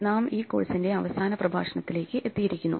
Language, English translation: Malayalam, We have come to the last lecture of this course